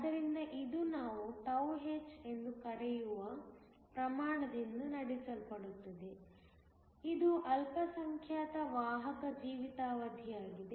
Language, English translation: Kannada, So, it is driven by a quantity which we call τh, which is the minority carrier lifetime